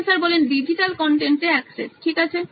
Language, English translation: Bengali, Access to digital content, okay